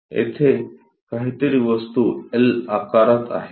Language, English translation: Marathi, Here the object is something like in L shape